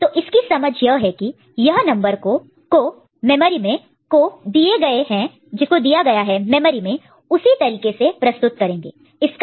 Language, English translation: Hindi, So, this is the understanding that this is this number stored in the memory are represented in this manner right